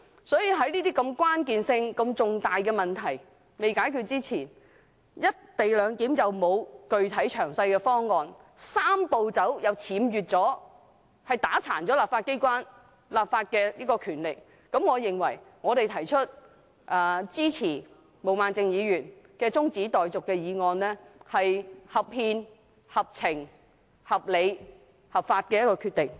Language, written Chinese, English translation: Cantonese, 鑒於這些如此關鍵、如此重大的問題尚未解決，"一地兩檢"又沒有具體詳細的方案，"三步走"又僭越——打垮香港立法機關的立法權力，我認為我們支持毛孟靜議員的中止待續議案，是合憲、合情、合理及合法的決定。, In the light of these critical and crucial problems that are pending solution the absence of a specific and detailed proposal for the co - location arrangement and the infringement on―usurpation of―the legislative power of the legislature of Hong Kong by the Three - step Process I consider our support for Ms Claudia MOs adjournment motion constitutional reasonable rational and lawful